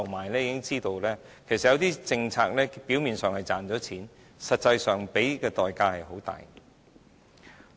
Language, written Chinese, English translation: Cantonese, 當局已經知道有些政策表面上賺錢，實際上付出的代價很大。, The authorities have learnt the lesson that some policies are actually costly despite the hefty tax revenue on the surface